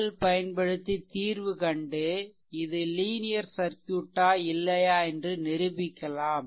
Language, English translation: Tamil, So, we apply KVL and accordingly you solve this one right and prove that whether it a circuit is a linear or not